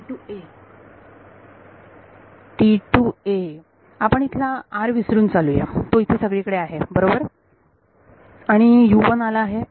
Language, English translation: Marathi, T 2 a r, let us forget the r, it is there everywhere right and U 1 has come